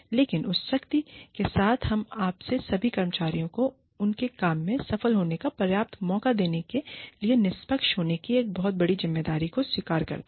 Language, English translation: Hindi, But, with that power, we also shoulder a very, very, big responsibility, of being fair, of appearing to be fair, to all our employees, of giving them, some enough chance to succeed in their work